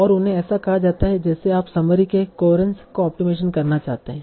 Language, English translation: Hindi, And they are called like you want to optimize the coherence of the summary